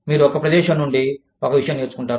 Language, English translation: Telugu, You learn one thing, from one place